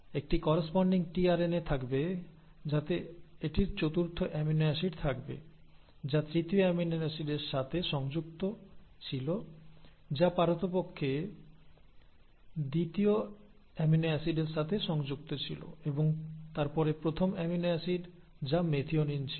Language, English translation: Bengali, So there will be a corresponding tRNA which would have its fourth amino acid which was connected to the third amino acid which in turn was connected to the second amino acid and then the first amino acid which was the methionine